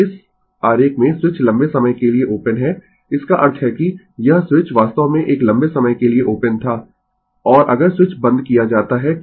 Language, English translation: Hindi, Now in this figure the switch has been open for a long time; that means, this switch actually was open for a long time and your what you call and if the switch is closed at t is equal to 0 determine i t